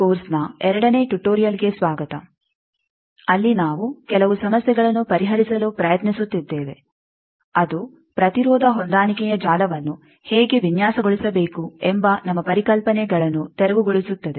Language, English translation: Kannada, Welcome to the second tutorial of this course, where we will be attempting to solve some problems that will clear our concepts that how to design Impedance Matching Network